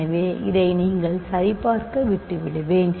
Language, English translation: Tamil, So, this I will leave for you to check